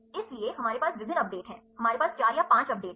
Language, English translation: Hindi, So, we have various updates, we have 4 or 5 updates